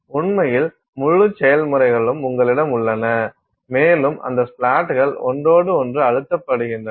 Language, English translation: Tamil, I mean in fact; you have the whole processes full of splats and those splats are pressed against each other